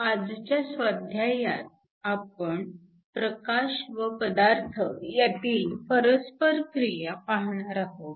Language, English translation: Marathi, In today’s assignment, we are going to look at the interaction of light with matter